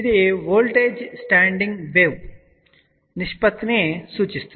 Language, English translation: Telugu, It stands for voltage standing wave ratio